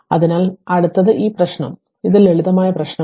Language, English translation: Malayalam, So, next is next is this problem another problem so simple problem it is simple problem